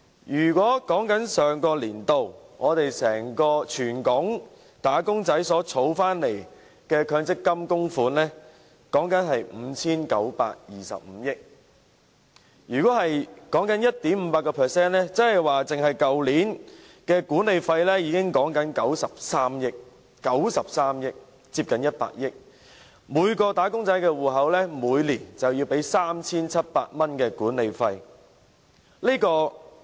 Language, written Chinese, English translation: Cantonese, 以上年度為例，全港"打工仔"的強積金供款額是 5,925 億元，如果以 1.58% 計算，單是去年的管理費已是93億元，接近100億元，即每名"打工仔"的強積金戶口每年便要支付 3,700 元管理費。, Last year for instance the MPF contributions made by wage earners in Hong Kong amounted to 592.5 billion . If we use 1.58 % as the basis for calculation the management fee for last year alone was 9.3 billion which was close to 10 billion meaning that a management fee of 3,700 was paid out of the MPF account of each wage earner annually